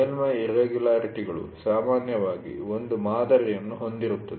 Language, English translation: Kannada, Surface irregularities generally have a pattern